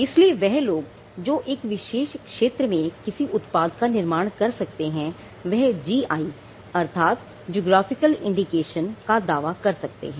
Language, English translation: Hindi, So, the people who are able to manufacture from that particular region can claim a GI a geographical indication